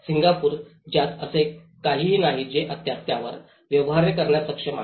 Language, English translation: Marathi, A Singapore which doesn’t have anything which is still capable of dealing with it